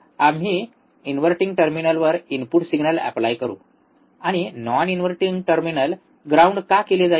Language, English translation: Marathi, we will applied input signal to the to the inverting terminal, and the non inverting terminal would be grounded, why